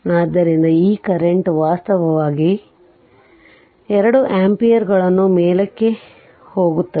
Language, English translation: Kannada, So, this current actually going two ampere going upward and we are taking like this